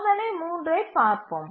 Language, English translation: Tamil, Now let's look at the test 3